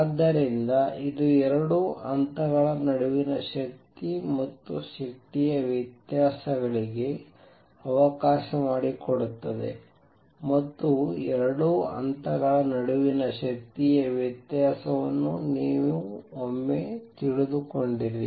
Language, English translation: Kannada, So, this let to energies and energy differences between 2 levels and once you know the energy difference between the 2 levels